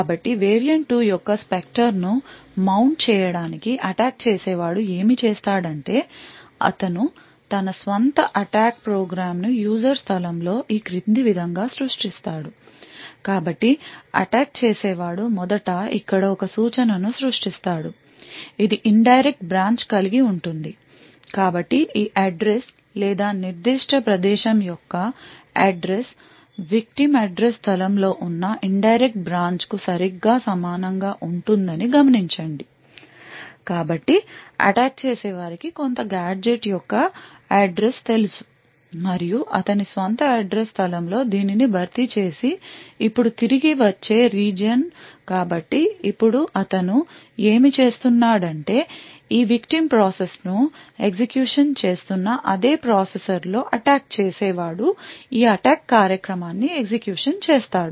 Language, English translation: Telugu, So in order to mount a Spectre of variant 2 attack a what the attacker does is he creates his own attack program with a user space as follows so the attacker will first create an instruction over here which has some indirect branch so note that this address or the address of this particular location is exactly identical to the indirect branch present in the victim's address space so also what is assume is the attacker knows the address of some gadget and in his own address space replaces this area with a return so now what he does is that on the same processor that is executing this victim's process the attacker would run this attack program